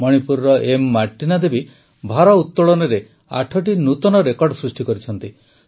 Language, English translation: Odia, Martina Devi of Manipur has made eight records in weightlifting